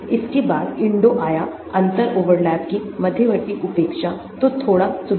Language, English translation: Hindi, then came INDO; intermediate neglect of differential overlap , so slight improvement